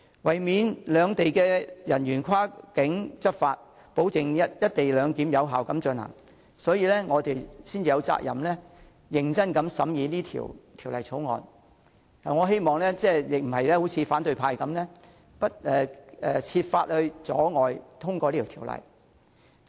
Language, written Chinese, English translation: Cantonese, 為免兩地人員跨境執法，保證"一地兩檢"有效進行，我們有責任認真審議《條例草案》，我不希望反對派設法阻礙通過《條例草案》。, In order to avoid cross - boundary law enforcement by officers of the two sides Members are duty - bound to seriously scrutinize the Bill and I do not wish to see opposition Members resorting to various means to obstruct the passage of the Bill